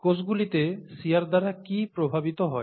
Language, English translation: Bengali, What gets affected by shear in the cells